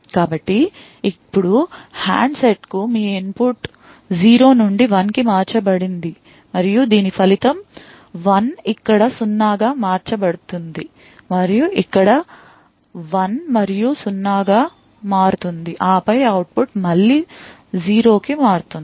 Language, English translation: Telugu, So, now your input to the handset has changed from 0 to 1 and the result of this is that 1 gets converted to 0 then 1 and 0 over here, and then the output changes to 0 again